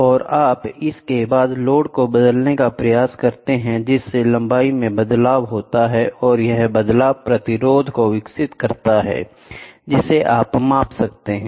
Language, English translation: Hindi, And then, you try to change the when you apply load, there is a change in length and then that leads to resistance you can measure